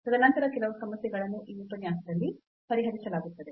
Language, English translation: Kannada, And then some worked problems will be done in this lecture